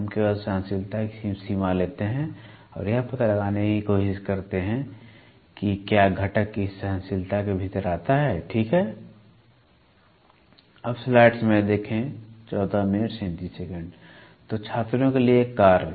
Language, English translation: Hindi, We just take only the tolerance range and try to find out whether the component falls within this tolerance, ok